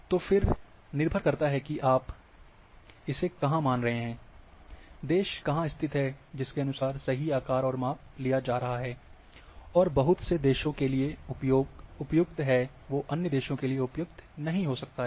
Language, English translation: Hindi, So, again depending where you assume, where is the country located accordingly going for true shape and size, and then very suitable for particular country, may not be suitable for other countries